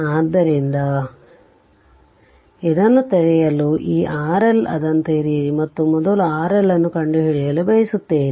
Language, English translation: Kannada, So, to get this open this R L open it R L and we want to find out R L first